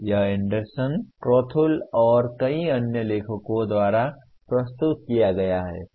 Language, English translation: Hindi, It is presented by Anderson, Krathwohl and several other authors